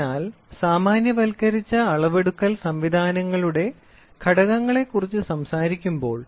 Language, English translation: Malayalam, So, when we talk about the elements of generalized measuring systems